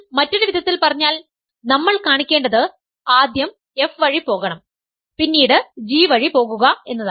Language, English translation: Malayalam, So, in other words, what we have to show is that if you first travel via f then travel via g